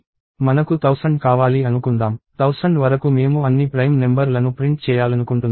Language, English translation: Telugu, So, let us say I want thousand; up to thousand I want all the prime numbers to be printed